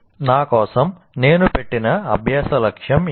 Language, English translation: Telugu, So now what is the learning goal I have put for myself